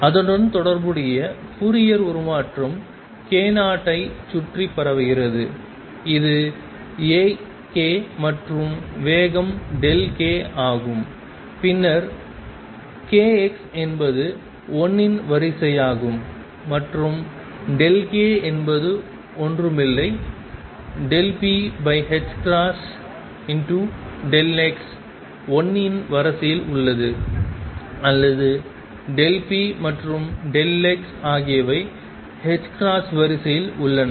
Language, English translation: Tamil, And the corresponding Fourier transform has a spread around k 0 this is A k and speed is delta k then delta k delta x is of the order of 1, and delta k is nothing but delta p over h cross delta x is of the order of 1, or delta p and delta x is of the order of h cross